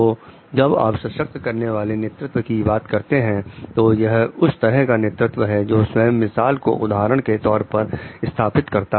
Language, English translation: Hindi, So, it is like when you are talking of empowering leadership it is one of those is leading by itself like example